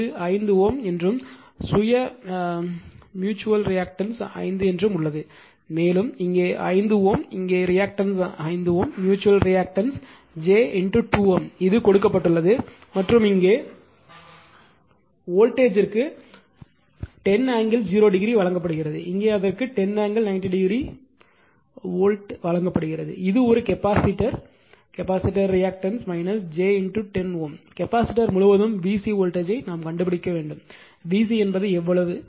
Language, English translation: Tamil, So, all these things actually this your direction of the current was not marked in the book this I have made it and this say this is 5 ohm and your self area reactance you have reactance is also 5 ohm and here also 5 ohm here also reactance 5 ohm mutual reactance is j 2 ohm, it is given and here voltage is given 10 angle 0 degree, here it is given 10 angle 90 degree volt, 12 it is not one capacitor is there capacitor reactance is minus j 10 ohm, you have to find out voltage across the capacitor that is V c is how much